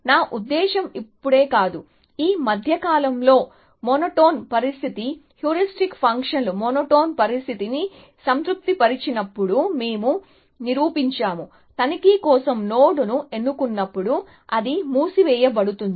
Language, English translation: Telugu, I mean not just now, but in the recent past, when the monotone condition, when the heuristic function satisfies the monotone condition, we proved that, whenever node is picked for inspection, which means it is put in to close